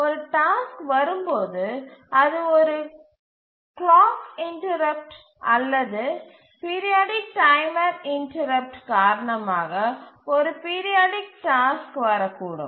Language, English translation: Tamil, When a task arrives, we know that the tasks arrive due to an interrupt, maybe a periodic task can arrive due to a clock interrupt, a periodic timer interrupt